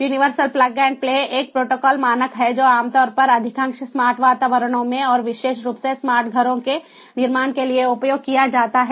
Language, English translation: Hindi, universal plug and play is a protocol standard, ah, that is used typically in most of the smart environments and particularly for building smart homes